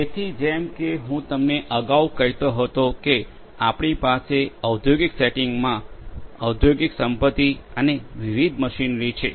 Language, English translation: Gujarati, So, as I was telling you earlier we have in an industrial setting we have industrial assets and different machinery